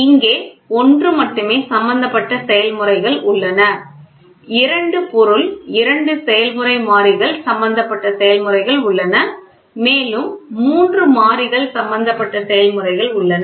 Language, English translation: Tamil, So, in there are processes where only one is involved, there are processes where two thing two process variables are involved, there are where are all the three is involved